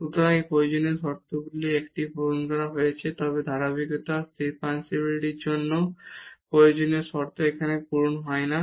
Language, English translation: Bengali, So, one of the necessary conditions here is fulfilled, but the continuity is also the necessary condition for differentiability which is not fulfilled here